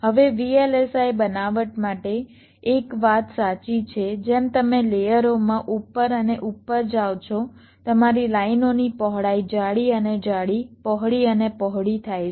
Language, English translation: Gujarati, now one thing is true for vlsi fabrications: as you move up and up in the layers, the width of your lines become thicker and thicker, wider and wider